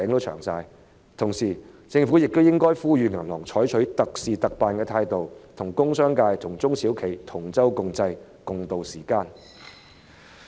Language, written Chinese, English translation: Cantonese, 與此同時，政府亦應該呼籲銀行採取特事特辦的態度，與工商界及中小企同舟共濟，共渡時艱。, At the same time the Government should also urge banks to make special arrangements for special cases and stay with the industrial and commercial sectors and SMEs through thick and thin